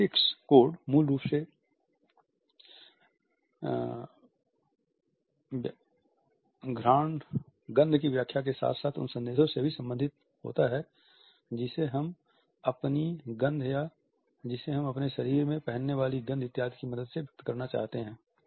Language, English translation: Hindi, Olfactory codes are basically related with the interpretation as well as the messages which we want to convey with the help of our odor, the smell which we wear on our body etcetera